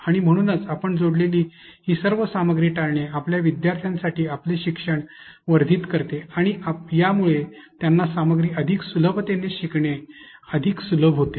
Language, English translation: Marathi, And therefore, avoiding all these materials or content that you add, enhances your learning for your students and this makes it much more easier for them to be able to understand the content easier